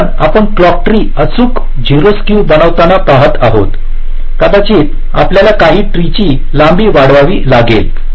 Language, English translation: Marathi, because you see, to make a clock tree exactly zero skew, maybe you may have to make some tree length longer, like like